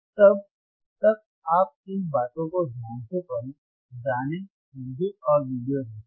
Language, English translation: Hindi, Till then you take care read thisese things, learn, understand and look at the videos,